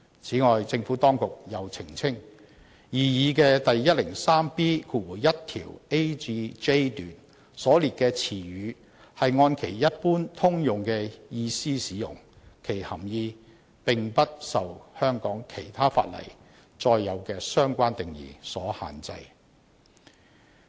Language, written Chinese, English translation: Cantonese, 此外，政府當局又澄清，擬議的第 103B1 條 a 至 j 段所列的詞語是按其一般通用的意思使用，其含義並不受香港其他法例載有的相關定義所限制。, Moreover the Administration has clarified that the terms set out in paragraphs a to j of the proposed section 103B1 are used in a generic sense and their meaning is not restricted by the respective definitions contained in other Ordinances in Hong Kong